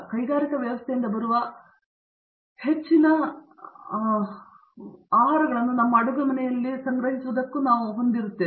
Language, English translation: Kannada, We also have more and more foods coming from an industrial setting instead of being done in our kitchen